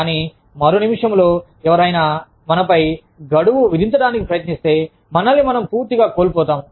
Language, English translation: Telugu, But, the minute, somebody tries to impose, deadlines on us, we feel completely lost